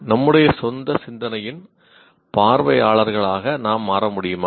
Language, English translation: Tamil, Can we become observers of our own thinking